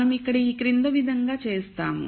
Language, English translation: Telugu, So, what we do here is the following